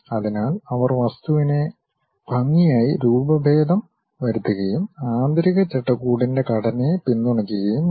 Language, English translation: Malayalam, So, they have to deform the object in a nice way and that supposed to be supported by the internal skeleton structure